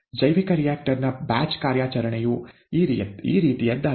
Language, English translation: Kannada, The batch operation of the bioreactor is something like this